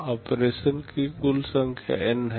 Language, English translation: Hindi, Total number of operation is N